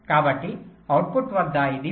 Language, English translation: Telugu, so at the output it was five point three